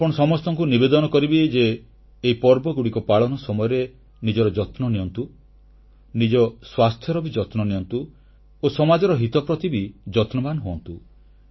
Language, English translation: Odia, I would request all of you to take best care of yourselves and take care of your health as well and also take care of social interests